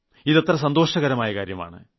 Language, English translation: Malayalam, This is a wonderful experience